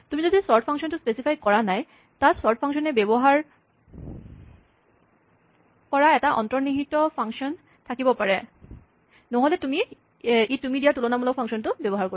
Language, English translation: Assamese, If you do not specify a sort function, there might be an implicit function that the sort function uses; otherwise it will use the comparison function that you provide